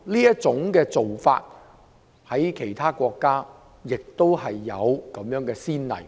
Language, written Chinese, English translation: Cantonese, 這種做法在其他國家亦有先例。, There are precedents of this practice in other countries